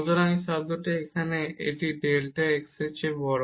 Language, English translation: Bengali, So, this term here because this is bigger than delta x